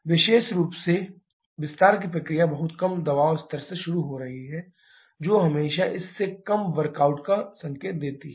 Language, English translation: Hindi, Particularly the expansion process is starting from a much lower pressure level which always signifies a lower workout from this